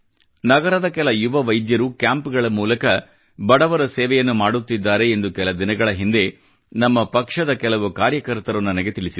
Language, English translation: Kannada, Recently, I was told by some of our party workers that a few young doctors in the town set up camps offering free treatment for the underprivileged